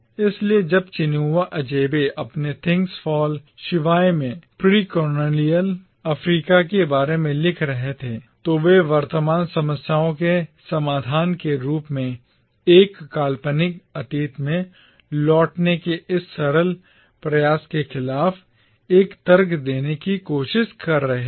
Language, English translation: Hindi, So when Chinua Achebe was writing about precolonial Africa in his Things Fall Apart, he was trying to make an argument precisely against this simplistic attempt to return to a fabled past as a solution for the present problems